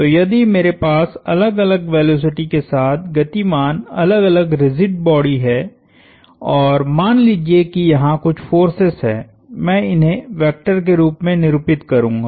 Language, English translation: Hindi, So, if I have different rigid bodies moving with different velocities and let us say there are some forces I will denote these as vectors